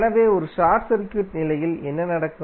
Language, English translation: Tamil, So what will happen under a short circuit condition